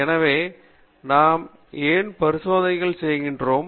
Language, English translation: Tamil, So, why do we do experiments